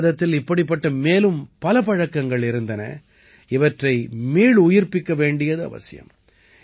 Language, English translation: Tamil, There are many other such practices in India, which need to be revived